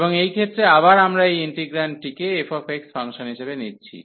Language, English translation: Bengali, And in this case again, we take this integrand as this f x function